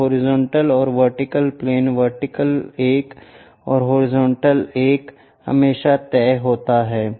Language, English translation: Hindi, So, horizontal and vertical planes, the vertical one and the horizontal one always fixed